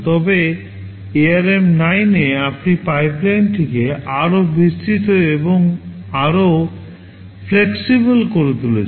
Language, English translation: Bengali, But in ARM 9, you are making the pipeline more elaborate and more flexible